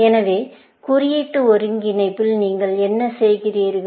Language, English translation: Tamil, So, what do you mean by symbolic integration